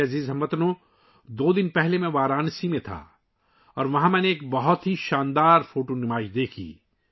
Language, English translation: Urdu, My dear countrymen, two days ago I was in Varanasi and there I saw a wonderful photo exhibition